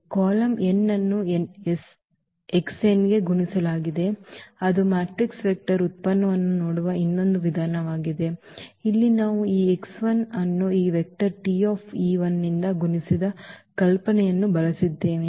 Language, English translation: Kannada, The column n will be multiplied to x n that is another way of looking at the matrix vector product and here exactly we have used that idea that this x 1 multiplied by this vector T e 1